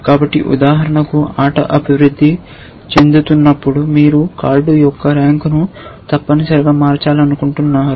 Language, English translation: Telugu, So, for example, as the game progresses you want to change the rank of a card essentially